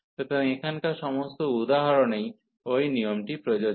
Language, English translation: Bengali, So, all the examples considered here that rule is applicable